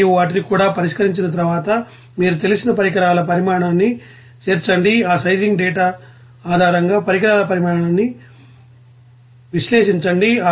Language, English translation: Telugu, And after solving those also you have to you know incorporate that equipment sizing, analyze that equipment sizing based on that sizing data